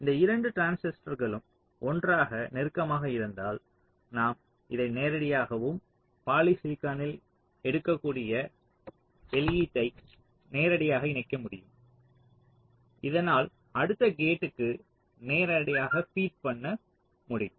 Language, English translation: Tamil, so if these two transistors are closer together, then you can possibly connect them directly like this, and the output you can take on polysilicon so that it can be fed directly to the next gate